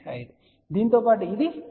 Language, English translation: Telugu, 5, along this it is 1